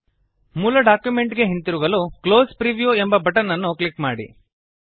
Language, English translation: Kannada, To get back to the original document, click on the Close Preview button